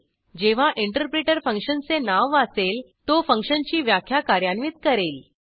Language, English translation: Marathi, # When the interpreter reads the function name, it executes the function definition